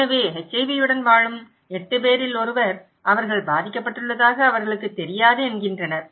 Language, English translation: Tamil, So, 1 in 8 living with HIV, they don’t know that they are infected